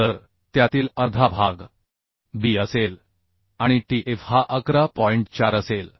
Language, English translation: Marathi, so half of that will be b and tf is 114